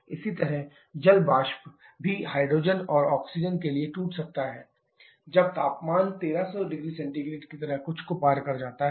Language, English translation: Hindi, Similarly the water vapour can also break to hydrogen and oxygen when the temperature process something like 1300 degree Celsius